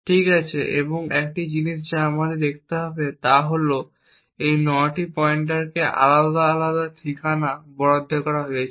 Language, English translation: Bengali, Okay, and one thing what we need to see is that these 9 pointers have been allocated different addresses